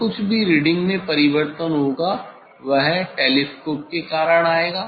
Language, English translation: Hindi, whatever the change of reading, it will come due to the telescope